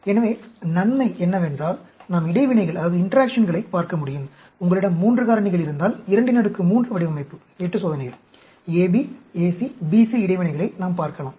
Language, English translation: Tamil, So, the advantage is that we can look at the interactions; like, if you have say three factors, 2 raised to the power 3 design, 8 experiments, we can look at interaction AB, AC, BC